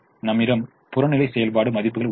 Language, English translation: Tamil, you have the objective function values